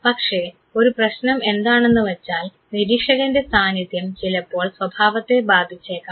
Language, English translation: Malayalam, But the problem is that the presence of observer sometime may affect the behavior